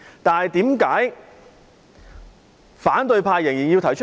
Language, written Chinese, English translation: Cantonese, 但是，為何反對派仍然要提出？, However why did members of the opposition camp put forward the demands?